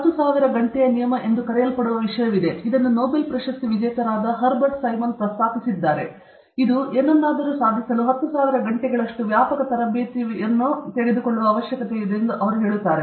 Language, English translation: Kannada, There’s something called the 10,000 hour rule, which was first proposed by Herbert Simon, who is a Nobel Laureate, who says, who said that it takes 10,000 hours of extensive training to excel in anything